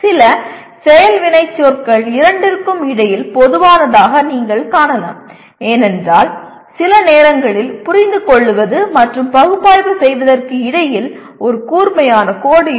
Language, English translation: Tamil, Some action verbs you may find them common between two because sometimes it is very difficult to draw a let us say a sharp line between Understand and Analyze